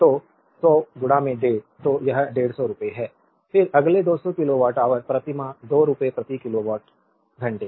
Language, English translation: Hindi, 5 so, it is rupees 150, then next 200 kilowatt hour per month rupees 2 per kilowatt hour